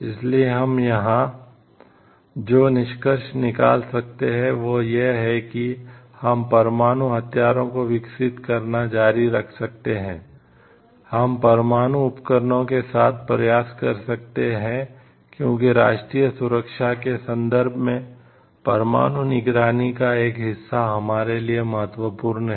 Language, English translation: Hindi, So, what we can conclude over here yes, we can continue developing nuclear weapons, we can try out with nuclear equipments, because as a part of nuclear deterrence is important to us from this point of security of the country